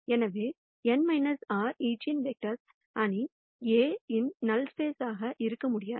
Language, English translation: Tamil, So, these n minus r eigenvectors cannot be in the null space of the matrix A